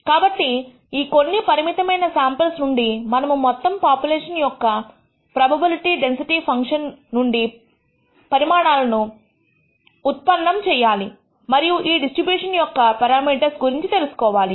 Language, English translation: Telugu, So, from this finite sample we have to derive conclusions about the probability density function of the entire population and also infer, make inferences about the parameters of these distributions